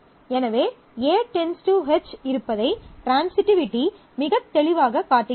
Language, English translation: Tamil, So, transitivity clearly shows that A will functionally determine H, very clear